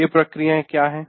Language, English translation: Hindi, Which are these processes